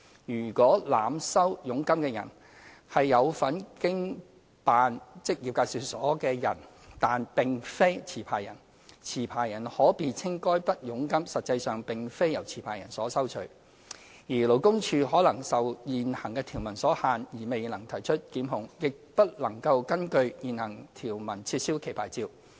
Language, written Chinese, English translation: Cantonese, 如濫收佣金的人是有份經辦職業介紹所的人但並非持牌人，持牌人可辯稱該筆佣金實際上並非由持牌人收取，而勞工處可能受現行條文所限未能提出檢控，亦不能根據現行條文撤銷其牌照。, If a jobseeker is overcharged by an operator of an employment agency who is not the licensee the licensee may argue that the commission in question is actually not received by the licensee . The Labour Department LD may not be able to initiate prosecution owing to the limitations of the provision nor can it revoke the licence of the employment agency under the current provision